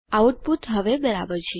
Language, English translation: Gujarati, The output is now correct